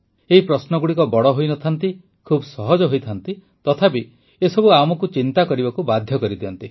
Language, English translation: Odia, These questions are not very long ; they are very simple, yet they make us think